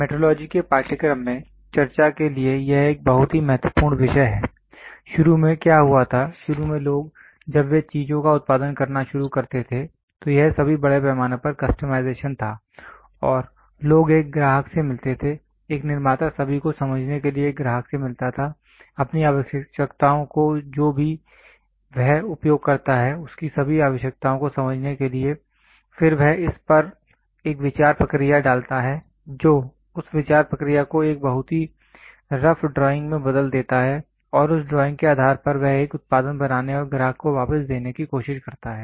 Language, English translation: Hindi, This is a very very important topic for discussion in the course of Metrology, what happened initially was initially people when they started producing things, it was all more of mass customization and people used to meet a customer, a manufacturer used to meet a customer understand all his requirements whatever it is he use to understand all his requirement then he puts a thought process on it converts that the thought process into a very rough drawing and based on that drawing he tries to manufacture a product and give it back to the customer